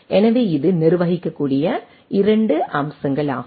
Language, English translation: Tamil, So, this is 2 aspects of the manageability